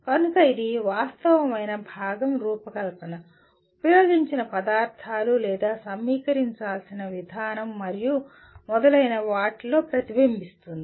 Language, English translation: Telugu, So it will get reflected in the actual component design, the materials used, or the way it has to be assembled and so on